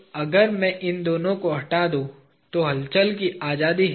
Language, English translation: Hindi, So if I remove these two, then there is a freedom to move